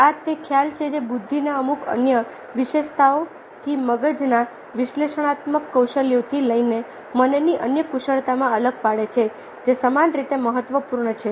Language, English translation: Gujarati, now this is the concept which differentiates intelligence from certain other attributes, ah, from analytical skills of the mind to other skills of the mind which are equally important